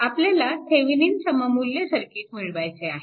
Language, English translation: Marathi, So, this is the Thevenin equivalent, Thevenin equivalent circuit